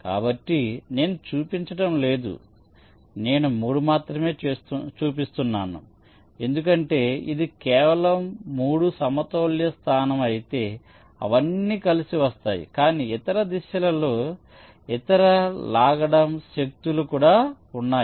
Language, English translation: Telugu, so i am not showing, i am only show showing three, because if it is only three the equilibrium position, they will all come to all together, but there are other pulling force in other directions also